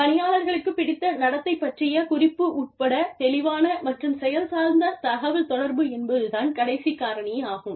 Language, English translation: Tamil, The clear and action oriented communication, including indication of desired behavior of employees